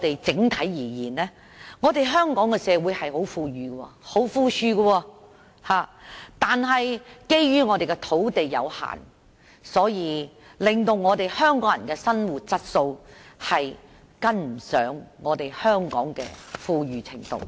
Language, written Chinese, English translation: Cantonese, 整體而言，香港社會十分富裕，但基於土地有限，令香港人的生活質素追不及本港的富裕程度。, Generally speaking Hong Kong society is very affluent . But due to limited land resources the living quality of Hong Kong people is unable to catch up with Hong Kongs affluence level